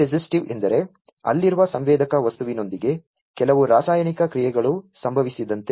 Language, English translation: Kannada, Chemi resistive means; like there is some chemical reaction that happens with the sensor material that is there